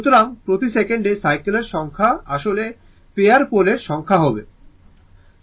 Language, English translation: Bengali, So, number of cycles per second actually it will be number of pair of poles, right